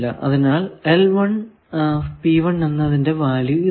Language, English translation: Malayalam, So, what is a value that